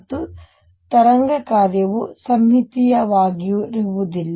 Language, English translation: Kannada, And the wave function is not symmetric